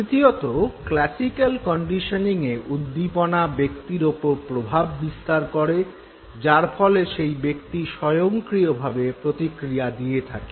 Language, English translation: Bengali, Third difference between classical and instrumental conditioning is that in the case of classical conditioning the stimuli act upon the individual and then the individual responds automatically